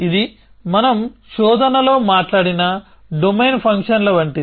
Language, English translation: Telugu, So, this is like domain functions that we talked about in search